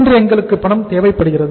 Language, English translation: Tamil, But we need the funds today